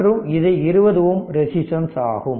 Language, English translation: Tamil, This is 2 and this is your 20 ohm resistance right